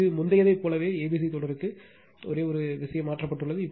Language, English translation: Tamil, This is for your a c b sequence same as before, only one thing is changed